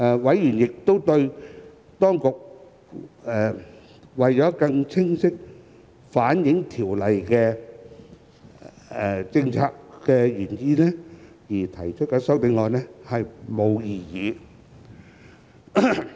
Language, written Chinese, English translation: Cantonese, 委員亦對當局為更清晰反映《條例草案》的政策原意而提出的修正案並無異議。, Members also have no objection to the amendments proposed by the Administration for the purpose of reflecting the policy intent of the Bill more clearly